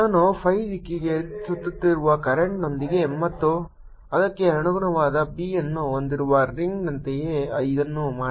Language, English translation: Kannada, make this similar to a ring with current i going around in the phi direction and the corresponding b